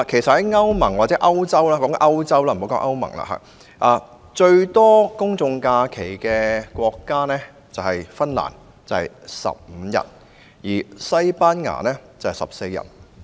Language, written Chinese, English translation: Cantonese, 至於歐洲國家，最多公眾假期的國家是芬蘭，有15日，而西班牙則有14日。, As for European countries Finland has the largest number of public holidays ie . 15 days and Spain has 14 days